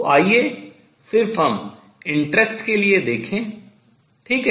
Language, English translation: Hindi, So, let us just see for the interest right